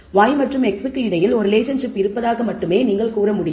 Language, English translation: Tamil, So, basically we are saying y and x are associated with each other also there is a strong association